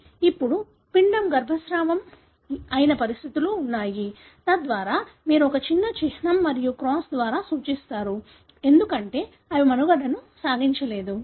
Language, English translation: Telugu, Now,, there are conditions wherein an embryo is aborted or it is a miscarriage; so that you denote by a small symbol and cross, because they did not survive